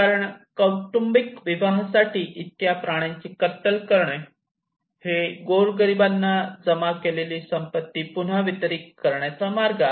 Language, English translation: Marathi, Because the butchering of so many animals for a family wedding is a way of redistributing the accumulated wealth to the poor